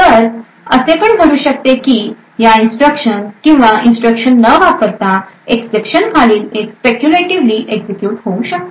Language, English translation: Marathi, So it may happen that these instructions without these instructions following the exception may be speculatively executed